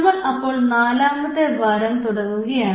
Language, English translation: Malayalam, We are starting the 4th week